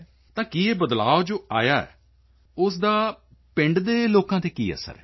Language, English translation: Punjabi, So what is the effect of this change on the people of the village